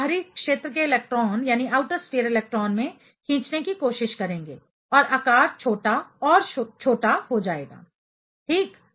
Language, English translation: Hindi, They will try to pull in the outer sphere electron and the size will get smaller and smaller; ok